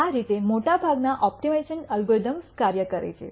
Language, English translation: Gujarati, This is how most optimization algorithms work